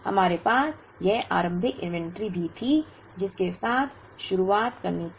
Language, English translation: Hindi, We also had this initial inventory to begin with